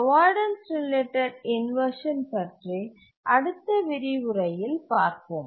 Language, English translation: Tamil, Averdance related inversion in the next lecture